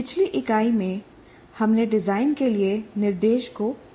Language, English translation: Hindi, In the earlier unit, we understood the instruction for design